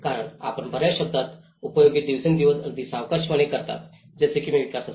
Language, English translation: Marathi, Because we use many words very loosely in day to day sense like for instance the development